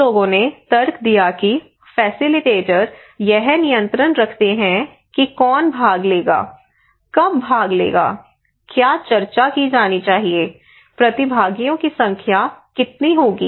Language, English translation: Hindi, In many extents, some people argued that the facilitator he controls everything who will participate, when will participate, What should be discussed, the number of participants